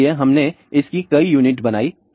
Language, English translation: Hindi, So, we made multiple units of this